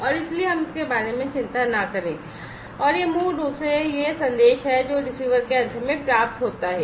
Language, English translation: Hindi, And so let us not worry about it and this is basically this message that is received at the receiver end